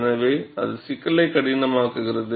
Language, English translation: Tamil, So, that makes the problem difficult